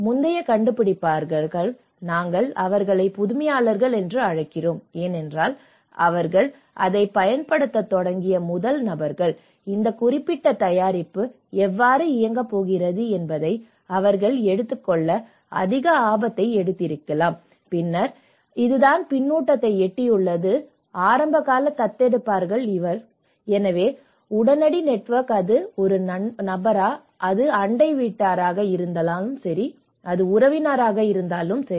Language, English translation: Tamil, So, the earlier innovators, we call them as innovators because these are the first people who started using it, they might have taken a high risk to take this as how this particular product is going to work and then this is how the feedback have reached to the early adopters, so then the immediate network whether it is a friend, whether is a neighbour, whether it is the relative that is about a kind of micro level networks through their personal or a direct networks